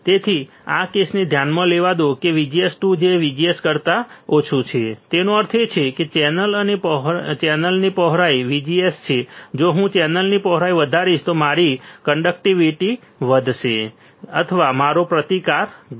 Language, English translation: Gujarati, So, let this case consider VGS 2 is less than VGS 1; that means, channel and VGS VG s is channel width right if I increase channel width my conductivity would increase, or my resistance would decrease